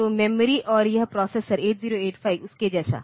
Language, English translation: Hindi, So, the memory and this processor 8085 like that